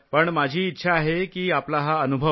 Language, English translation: Marathi, But I want this experience of yours